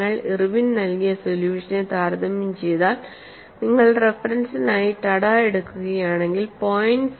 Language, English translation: Malayalam, If you compare, whatever the solution by Irwin, if you take the reference as Tada, up to 0